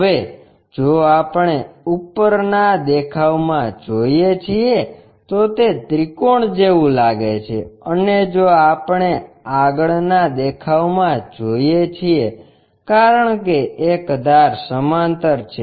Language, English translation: Gujarati, Now, if we are looking from top view, it looks like a triangle and if we are looking from a front view because one of the edge is parallel